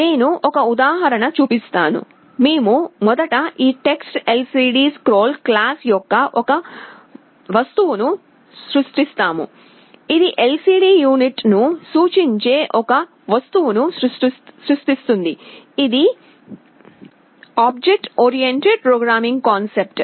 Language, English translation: Telugu, I shall show an example; we first create an object of this TextLCDScroll class, it will create an object that will indicate the LCD unit, this is an object oriented programming concept